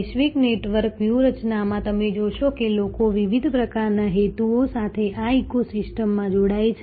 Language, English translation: Gujarati, So, in the global network strategy as you will see that people join these ecosystems with different types of motives